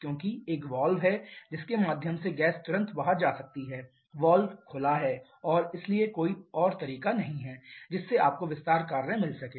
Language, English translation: Hindi, Expansion work will stop because there is one valve through which the gas can immediately go out the valve is open and so there is no way you can get expansion work